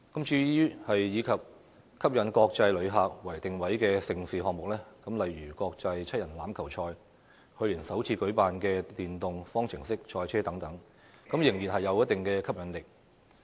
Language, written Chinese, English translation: Cantonese, 至於以吸引國際旅客為定位的盛事項目，例如國際七人欖球賽、去年首次舉辦的電動方程式賽車等，仍然有一定吸引力。, Mega events that aim at attracting international visitors such as the Hong Kong Sevens and the FIA Formula E Championship held the first time in Hong Kong last year still have certain appeal